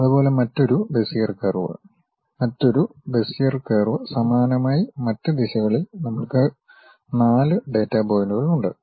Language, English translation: Malayalam, Similarly, another Bezier curve, another Bezier curve similarly on the other directions we have 4 data points